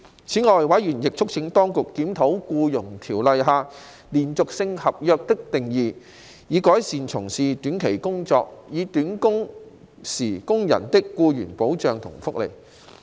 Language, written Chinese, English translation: Cantonese, 此外，委員亦促請當局檢討《僱傭條例》下"連續性合約"的定義，以改善從事短期工作，或短工時工人的僱傭保障和福利。, In addition members also urged the Administration to review the definition of continuous contract under the Employment Ordinance with a view to enhancing the employment protection and benefits of the workers engaged under employment contracts with short duration or working hours